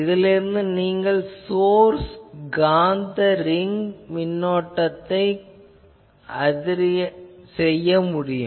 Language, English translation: Tamil, So, by that also you can model the source magnetic ring current